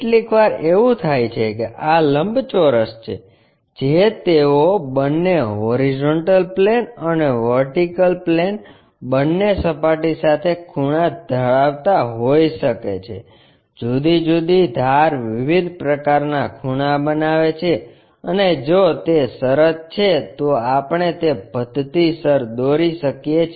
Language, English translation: Gujarati, Sometimes what happens is these rectangles they might be inclined to both horizontal plane and also vertical plane at different kind of sections, different edges are making different kind of angles and if that is the case can we step by step construct that